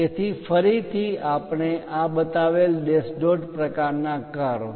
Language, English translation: Gujarati, So, again dash dot kind of curve we have shown